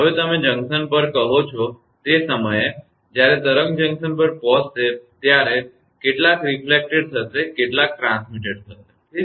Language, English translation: Gujarati, Now, at the your what you call at the junction while the wave arrive at the junction some will be reflected some will be transmitted right